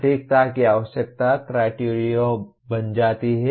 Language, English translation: Hindi, That requirement of accuracy becomes the criterion